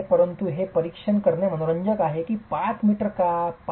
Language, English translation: Marathi, But it is interesting to examine why 5 meters